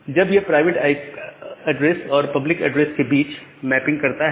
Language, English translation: Hindi, It makes a mapping between the private address and the public address